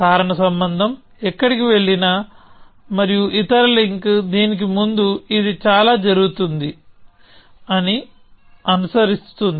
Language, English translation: Telugu, that wherever causal link goes and other link follows that this much happen before this